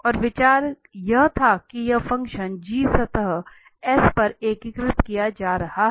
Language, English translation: Hindi, And the idea was that this function g is being integrated over the surface S